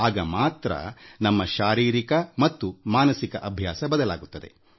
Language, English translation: Kannada, Only then will the habit of the body and mind will change